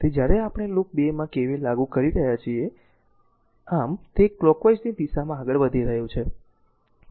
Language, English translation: Gujarati, So, here when we are applying KVL in the loop 2, thus it is you are moving in the clockwise direction